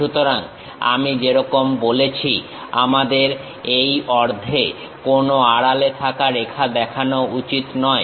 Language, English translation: Bengali, So, as I said we do not, we should not show any hidden lines on this half